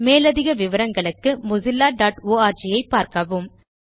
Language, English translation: Tamil, Visit mozilla.org for detailed information on Mozilla